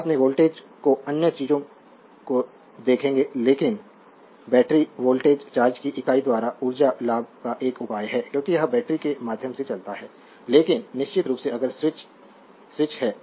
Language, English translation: Hindi, Later will see the your voltage another things , but the battery voltage is a measure of the energy gain by unit of charge as it moves through the battery, but of course, if the switch is switch is closed right